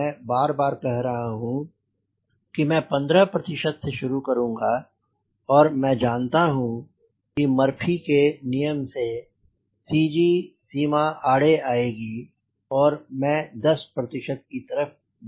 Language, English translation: Hindi, as i repeatedly say, i start with fifteen percent and i know that by murphy law there will be c g limitation will come and i will approach towards ten percent